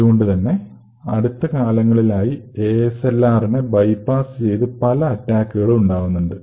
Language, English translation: Malayalam, So, in the recent years, attackers have been able to bypass ASLR as well